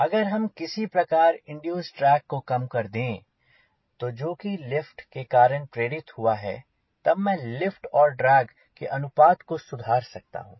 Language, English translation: Hindi, if we can somehow reduce the induced drag, which is induced because of lift, then i can improve the lift to drag ratio, right